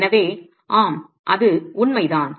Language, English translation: Tamil, So the, yes, that's true